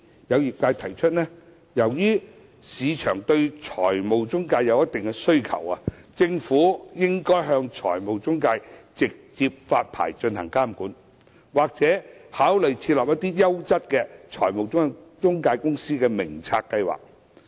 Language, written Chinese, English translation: Cantonese, 有業界人士提出，由於市場對財務中介有一定需求，政府應該向財務中介直接發牌進行監管，或考慮設立優質財務中介公司名冊計劃。, Some members of the industry have suggested that as there is a certain demand for financial intermediaries in the market the Government should introduce direct licensing of financial intermediaries to exercise regulation or consider introducing a scheme that puts in place a register of quality financial intermediaries